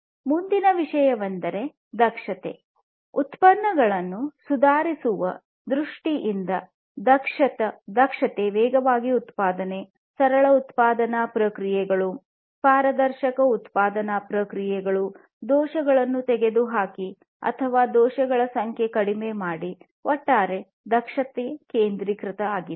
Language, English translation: Kannada, Next thing is the efficiency; efficiency in terms of improving in the products production productivity, faster productivity, simpler production processes, transparent production processes, production processes which will eliminate errors or reduce the number of errors from occurring and so on; overall efficiency centricity